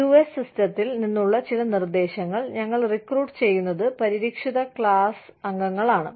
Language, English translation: Malayalam, Some suggestions, from the US system are, we recruit, protected class members